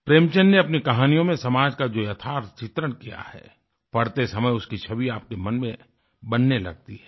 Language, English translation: Hindi, Images of the stark social realities that Premchand has portrayed in his stories vividly start forming in one's mind when you read them